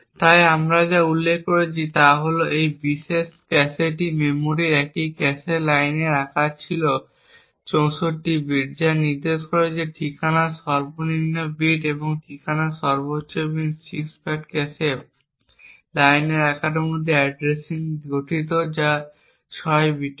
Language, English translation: Bengali, So what we did mention was that this particular cache memory had a cache line size of 64 bits which would indicate that the lowest bits of the address, the lowest 6 bits of the address comprises addressing within the cache line size which is of 6 bits